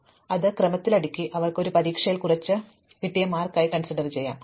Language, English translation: Malayalam, So, we have sorted this in order and they might have got some marks in an exam